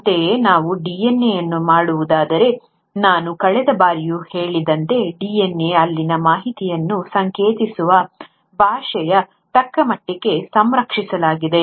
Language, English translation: Kannada, Similarly, if we were to look at the DNA, as I mentioned last time also, as far as the language which codes the information in DNA has been fairly conserved